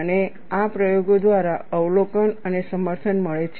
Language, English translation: Gujarati, And this is observed and corroborated by experiments